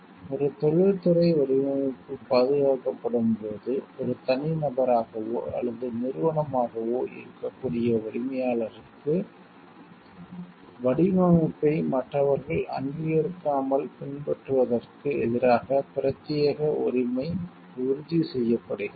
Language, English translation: Tamil, When an industrial design is protected, the owner which could be an individual or a former assured an exclusive right against unauthorized imitation of the design by others